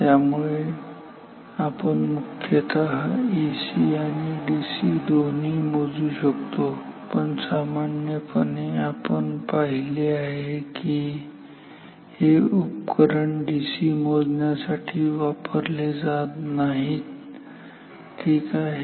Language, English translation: Marathi, So, in principle this can measure both DC and AC also this can measure both DC and AC, but generally as we have seen generally this instrument is not used for measuring DC ok